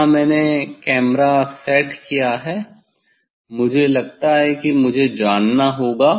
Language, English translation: Hindi, here I set camera I think I have to no I think this fine